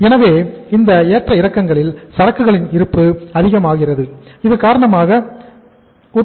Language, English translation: Tamil, So these fluctuations also cause some increase in the inventory